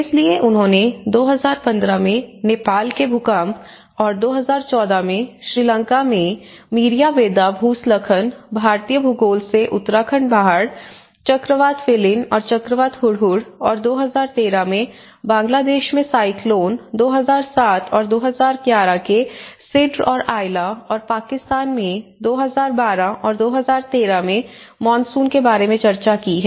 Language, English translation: Hindi, So, they have tried to cover the earthquake in Nepal in 2015 and the Meeriyabedda Landslide in Sri Lanka in 2014, the Uttarakhand Floods, Cyclone Phailin and Cyclone Hudhud from the Indian geography and which was in 2013, Cyclone Sidr and Aila in Bangladesh in 2007 and 2011 and the monsoon floods in Pakistan in 2012 and 2013